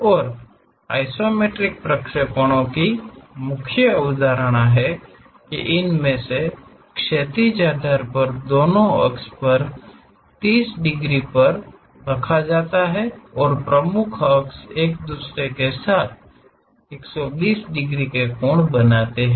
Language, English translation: Hindi, And the main concept of isometric projections is, with the horizontal one of these base will be at 30 degrees on both sides and the principal axis makes 120 degrees angle with each other